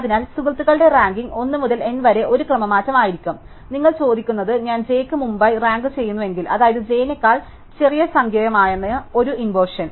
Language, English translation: Malayalam, So, the friends ranking will be a permutation of 1 to n and what you are asking is if I rank i before j, that is before i is the smaller number than j, does the friend rank j before i, any such think would be an inversion